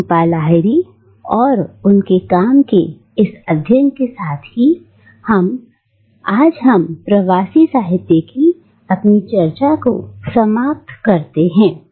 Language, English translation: Hindi, With this exploration of Jhumpa Lahiri and her work we conclude our discussion of diasporic literature today